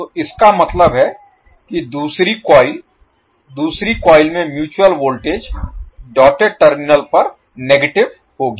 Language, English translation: Hindi, So that means that the second coil the mutual voltage in the second coil will be negative at the doted terminal of the second coil